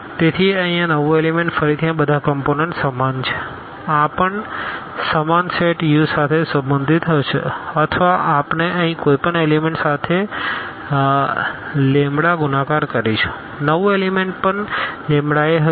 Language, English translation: Gujarati, So, this new element here all the components are equal again this will also belong to the same set U or we multiply by the lambda to any element here, the new element will be also lambda a, lambda a